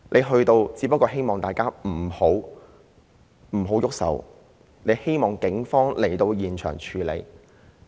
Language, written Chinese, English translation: Cantonese, 他到場只不過是希望大家不要動手，希望警方到現場處理。, He went to the scene hoping that everyone would stop and let the Police deal with the situation